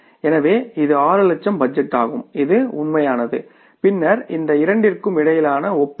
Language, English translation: Tamil, So this is 6 lakh is the budgeted, this is the actual and then the comparison between these two